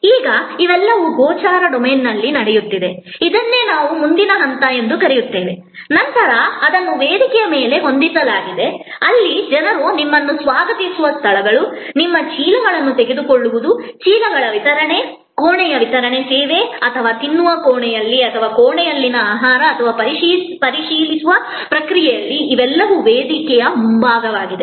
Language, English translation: Kannada, Now, all these are happening in the visible domain, this is what we call the front stage and then that is set of on stage, where you know people where greeting you, taking your bags, your delivery of the bags, delivery of the room service or what we call these days, in room dining, food in a room or the process of check out, these are all part of the on stage